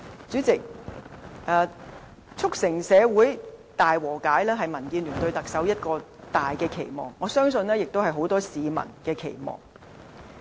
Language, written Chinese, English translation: Cantonese, 主席，促成社會大和解是民建聯對特首的一個重大期望，我相信亦是很多市民的期望。, President achieving reconciliation in society is DABs major expectations for the next Chief Executive . I believe the people wish the same too